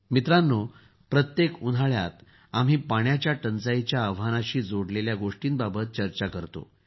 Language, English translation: Marathi, Friends, we keep talking about the challenges related to water every summer